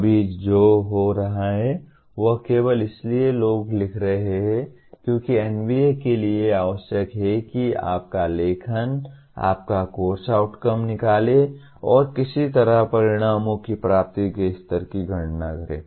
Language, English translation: Hindi, Right now what is happening is only people are writing as because NBA requires that your writing your course outcomes and somehow computing the level of attainment of outcomes